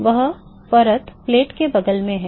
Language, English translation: Hindi, That is a layer next to the plate